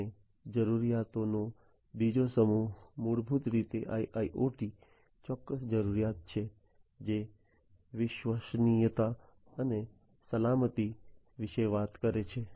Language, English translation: Gujarati, And the second set of requirements are basically the IIoT specific requirements, which talk about reliability and safety